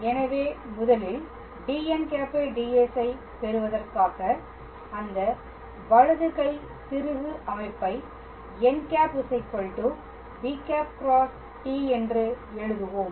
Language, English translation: Tamil, So, in order to obtain the dn ds first of all we will write that right handed screw system n cap equals to b cap times t cap